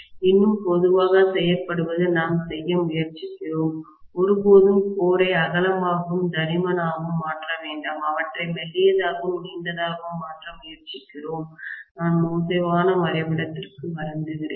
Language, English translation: Tamil, One more generally that is done is we try to make, we never make the core broader and thicker, we try to make them thinner and longer like this, I am sorry for the bad drawing, okay